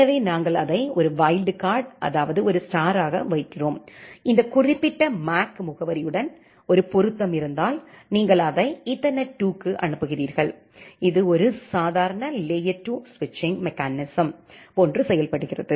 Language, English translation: Tamil, So, we put it as a star as a wildcard character, if there is a match with this particular MAC address, you forward it to Ethernet 2, it behaves like a normal layer 2 switching mechanism